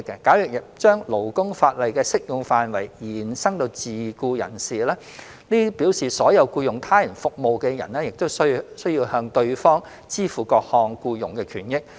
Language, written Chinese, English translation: Cantonese, 假如把勞工法例的適用範圍延伸至自僱人士，這表示所有僱用他人服務的人也需向對方支付各項僱傭權益。, If labour laws were extended to cover self - employed people this would mean that all those who hire the services of others would also be required to pay them various employment benefits